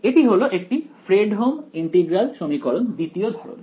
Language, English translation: Bengali, This is a Fredholm integral equation of second kind